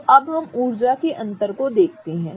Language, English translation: Hindi, So, now let us look at the energy difference